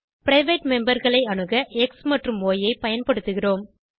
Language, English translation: Tamil, To access the private members we use x and y